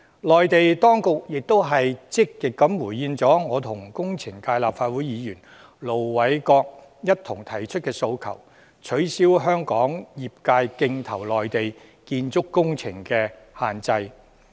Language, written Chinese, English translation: Cantonese, 內地當局亦積極回應我與立法會工程界代表盧偉國議員一同提出的訴求，取消香港業界競投內地建築工程的限制。, The Mainland authorities have also responded positively to a request jointly raised by me and Ir Dr LO Wai - kwok the representative of the engineering sector in the Legislative Council as they have waived the restrictions on Hong Kong practitioners in bidding for construction works in the Mainland